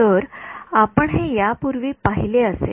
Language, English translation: Marathi, So, you may have seen this earlier